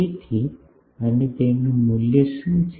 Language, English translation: Gujarati, So, and what is its value